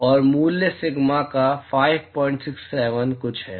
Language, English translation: Hindi, And the value of sigma is 5